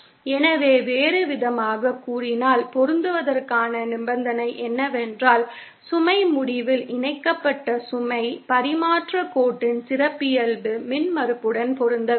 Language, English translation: Tamil, So, in other words, the condition for matching is that the load connected at the load end should match the characteristic impedance of the transmission line